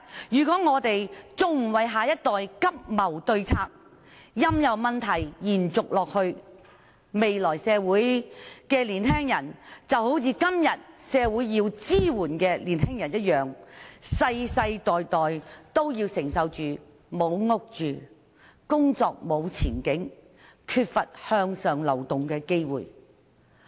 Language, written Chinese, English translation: Cantonese, 如果我們今天還不為下一代急謀對策，任由問題延續下去，未來的年青人，就會好像今天社會上需要支援的年青人一樣，世世代代也要承受沒有住屋、沒有工作前景、缺乏向上流動的機會等問題。, Should we fail today to expeditiously look for solutions to the problems for the next generation and the problems are left unsolved young people in the future will like those in need of support in society today face such problems as lack of housing job prospects opportunities of upward movement and so on